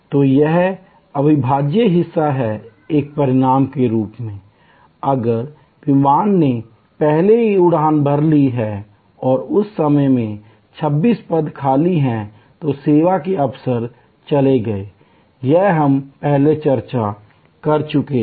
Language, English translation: Hindi, So, this is the inseparability part, as a result if the flight has already taken off and there were 26 vacant, that service opportunities gone, this we have discussed before